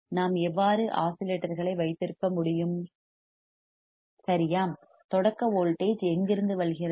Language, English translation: Tamil, Gow we can have oscillations all right and when does from where does the starting voltage come from